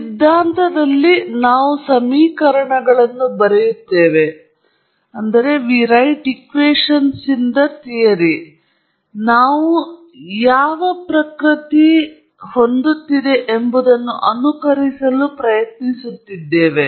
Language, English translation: Kannada, In theory we are writing equations, we are trying to simulate what nature is trying to do